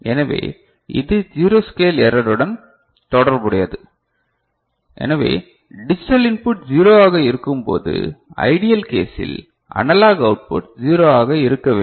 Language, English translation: Tamil, So, as I said this is related to zero scale error, so when the digital input is 0 ok, ideal case the analog output should be 0